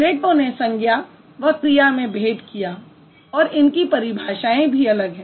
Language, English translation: Hindi, Plato, he distinguished between the nouns and the verbs